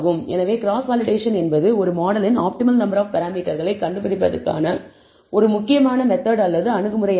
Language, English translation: Tamil, So, cross validation is a important method or approach for finding the optimal number of parameters of a model